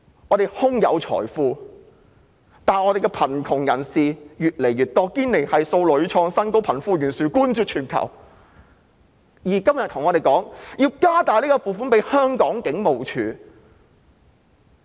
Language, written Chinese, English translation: Cantonese, 我們空有財富，但香港的貧困人口卻越來越多，堅尼系數屢創新高，貧富懸殊冠絕全球，而政府今天還告訴我們要增加警務處的撥款。, We are so affluent but the poverty population in Hong Kong is ever - increasing . Our Gini coefficient has hit record high time and again with the gap between the rich and the poor being the most serious in the world . Today however the Government tells us that they have to increase the funding of HKPF